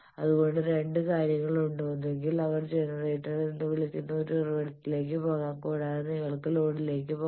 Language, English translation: Malayalam, So there are two things; one is you can go either to a source which they call generator and also you can go towards load